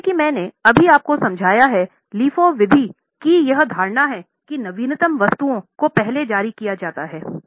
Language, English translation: Hindi, So, as I have just explained you, in LIFO method, the assumption is the latest goods are issued out first